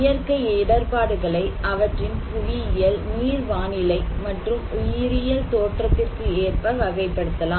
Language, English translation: Tamil, Natural hazards can be classified according to their geological, hydro meteorological and biological origin